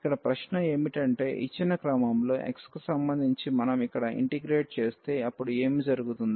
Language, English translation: Telugu, The question is now if we differentiate if we integrate here with respect to x first in the given order, then what will happen